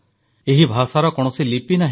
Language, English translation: Odia, This language does not have a script